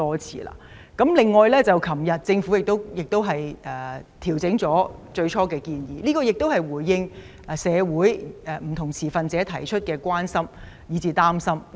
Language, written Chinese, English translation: Cantonese, 此外，政府昨天修訂了最初的建議，回應社會上不同持份者表達的關心和擔心。, In addition the Government revised its initial proposals yesterday in response to the concerns and worries of different stakeholders in the community